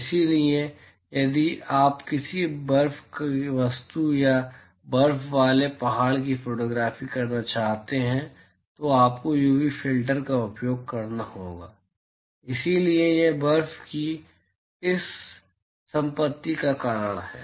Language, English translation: Hindi, So, you have to use a UV filter if you want to capture a photography of a snow object or a mountain which has snow, so that is because of this property of snow